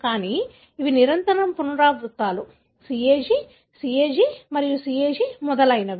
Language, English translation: Telugu, But, these are continuous repeats;CAG, CAG, CAG and so on